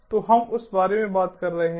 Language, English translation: Hindi, so we are talking about that